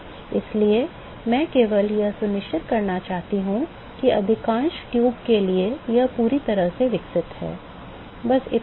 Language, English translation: Hindi, So, I just want to make sure that for most of the tube is, it is fully developed that is all